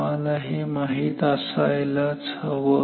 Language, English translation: Marathi, You must always know this